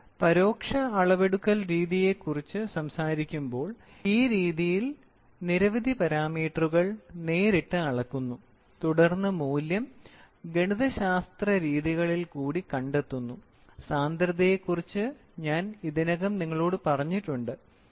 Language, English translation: Malayalam, When we talk about indirect measurement, in this method several parameters are measured directly and then the value is determined by mathematical relationships what I have already told you density